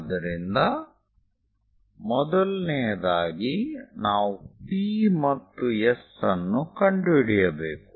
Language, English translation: Kannada, So, first of all, we have to locate P and S